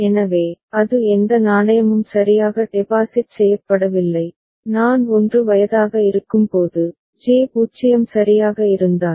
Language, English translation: Tamil, So, that is no coin has been deposited right and when I is 1, then if J is 0 right